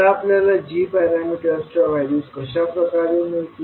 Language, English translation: Marathi, Now, how you will find out the values of g parameters